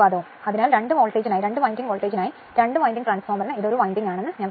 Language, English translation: Malayalam, So, for two winding voltage, I told you that this for two winding transformer this is 1 winding right